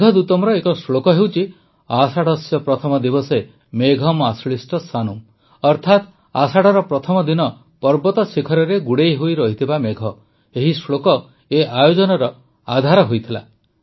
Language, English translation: Odia, There is a verse in Meghdootam Ashadhasya Pratham Diwase, Megham Ashlishta Sanum, that is, mountain peaks covered with clouds on the first day of Ashadha, this verse became the basis of this event